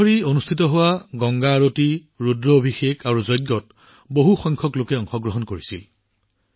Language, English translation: Assamese, A large number of people participated in the Ganga Aarti, Rudrabhishek and Yajna that took place every day for three days